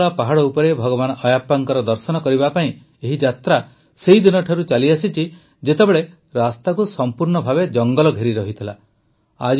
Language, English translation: Odia, This pilgrimage to seek Darshan of Bhagwan Ayyappa on the hills of Sabarimala has been going on from the times when this path was completely surrounded by forests